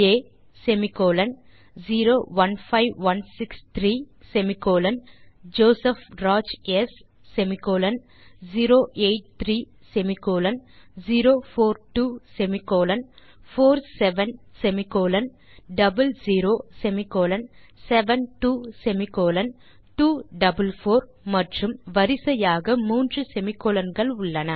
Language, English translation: Tamil, A semicolon 015163 semicolon JOSEPH RAJ S semicolon 083 semicolon 042 semicolon 47 semicolon 00 semicolon 72 semicolon 244 and three semicolons in a row